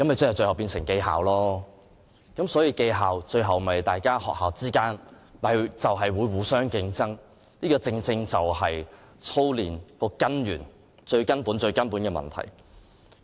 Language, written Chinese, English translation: Cantonese, 這樣便變相是記校，最後又變成學校之間互相競爭，這正正是操練的根源，是最根本的問題。, This is tantamount to having the school names recorded and eventually it will give rise to competition among the schools . This is precisely the root cause of drilling which is the most fundamental problem